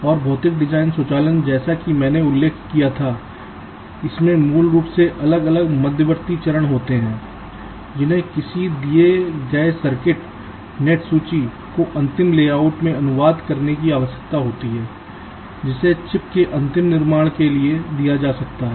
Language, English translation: Hindi, ok, and physical design automation, as i had mentioned, it basically consists of the different intermediates, steps that need to be followed to translate ah, given circuit net list, into the final layout which can be given for final fabrication of the chip